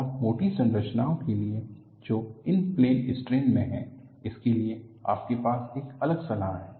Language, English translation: Hindi, And for thick structures which are in plane strain, you have a different recommendation